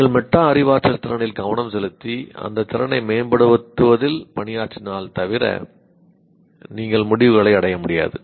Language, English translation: Tamil, So unless you pay attention to the metacognitive ability and also work towards improving that ability, you cannot achieve the results